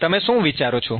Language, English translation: Gujarati, What do you think